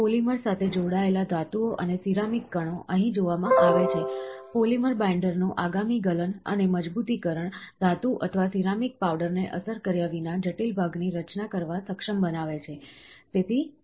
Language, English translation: Gujarati, Metals and ceramic particles binded with the polymer are seen here, next melting and resolidification of polymer binder, enabling the complex part to be formed without thermally affecting the metal, or the ceramic powder, so, the particle is